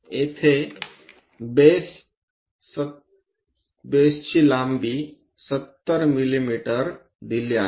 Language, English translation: Marathi, Here the base length 70 mm is given